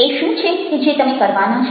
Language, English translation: Gujarati, what is it that you going to do